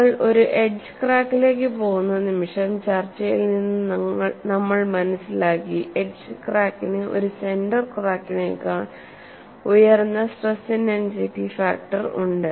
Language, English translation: Malayalam, The moment you go to an edge crack, we have noted from our discussion, edge cracks have a higher stress intensity factor than a center crack